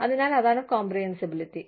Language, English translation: Malayalam, So, that is the comprehensibility